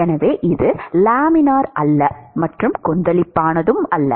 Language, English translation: Tamil, So, it is neither Laminar not Turbulent